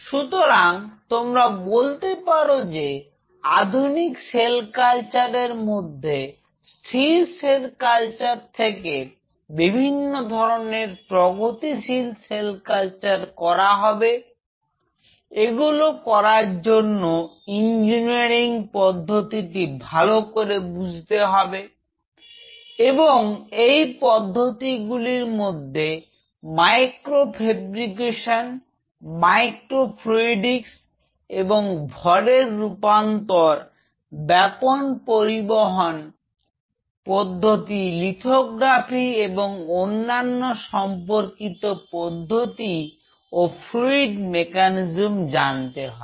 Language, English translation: Bengali, So, you can say that modern cell culture from static cell culture the future will be more of a dynamic cell culture and such dynamic cell culture will be read, needing lot of understanding of engineering and within engineering micro fabrication, micro fluidics, mass transfer diffusion, lot of understanding of transport phenomena, lithography and other and other allied techniques and fluid mechanics